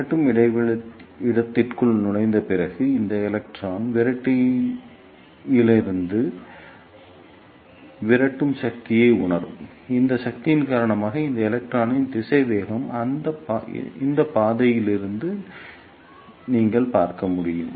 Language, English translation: Tamil, After entering into repeller space, this electron will feel repulsive force from the repeller; and because of that force the velocity of this electron will decrease as you can see from this path